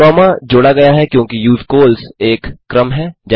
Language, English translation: Hindi, The comma is added because usecols is a sequence